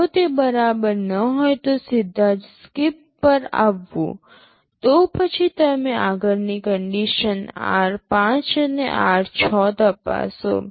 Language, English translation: Gujarati, If it is not equal to straight away come to SKIP, then you check the next condition r5 and r6